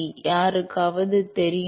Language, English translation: Tamil, Does anyone know